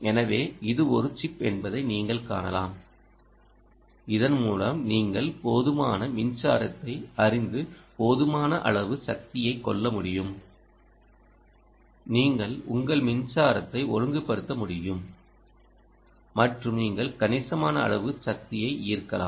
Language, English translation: Tamil, so you can see that it is quite a chip which, by which you can actually ah, ah, you know, draw sufficient, you can regulate ah, you can regulate your power and you have draw significant amount of power